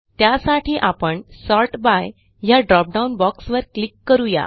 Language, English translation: Marathi, For this, we will click the Sort by dropdown box, and then click on Issue Date